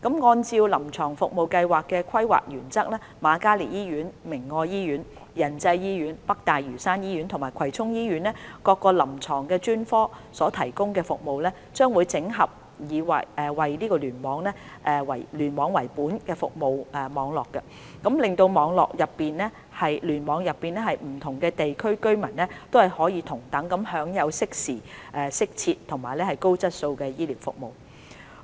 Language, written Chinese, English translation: Cantonese, 按照臨床服務計劃的規劃原則，瑪嘉烈醫院、明愛醫院、仁濟醫院、北大嶼山醫院及葵涌醫院各臨床專科所提供的服務，將整合為以聯網為本的服務網絡，使聯網內不同地區的居民可同等享有適時、適切和高質素的醫療服務。, Based on the planning principles of CSP services provided by various clinical specialties of the Princess Margaret Hospital PMH Caritas Medical Centre Yan Chai Hospital NLH and Kwai Chung Hospital will be organized in a cluster - based service network so as to provide equitable timely suitable and quality medical services for residents of different catchment areas of the cluster